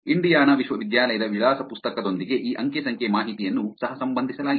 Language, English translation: Kannada, Coerrelated this data with Indiana University’s address book